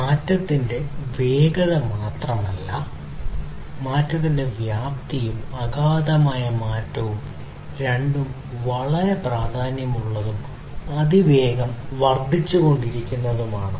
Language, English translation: Malayalam, So, not only the speed of change, but also the scale of change, the profound change both are very equally important and are increasing in rapid pace